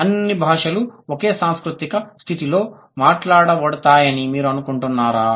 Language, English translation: Telugu, Do you think all languages are spoken in the same cultural condition